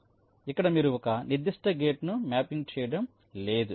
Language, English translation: Telugu, so here you are not mapping of particular gate like